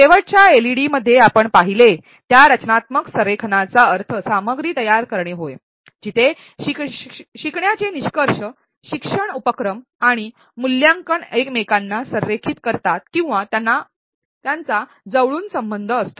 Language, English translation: Marathi, In the last LED we saw, that constructive alignment means creation of content where learning outcomes learning activities and assessment are aligned to each other or a closely associated